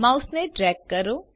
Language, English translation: Gujarati, Drag your mouse